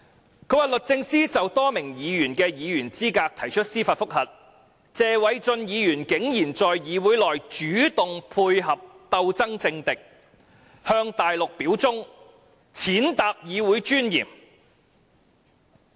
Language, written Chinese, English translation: Cantonese, 他指出，"律政司就多名議員的議員資格提出司法覆核，謝偉俊議員竟然在議會內主動配合鬥爭政敵，向大陸表忠，踐踏議會尊嚴。, He pointed out to the effect that While the Department of Justice applied for a judicial review against the qualification of a number of Members Mr Paul TSE has outrageously taken the initiative to collaborate in the legislature to denounce his political enemies as an act to show loyalty to the Mainland trampling on the dignity of the legislature